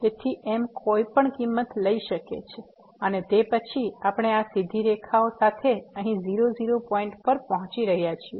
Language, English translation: Gujarati, So, m can take any value and then, we are approaching to the point here the along these straight lines